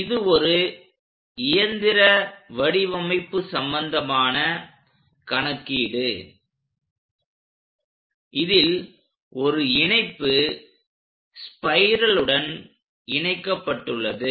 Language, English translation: Tamil, So, it is a machine design kind of problem where there is a link which is connected to this spiral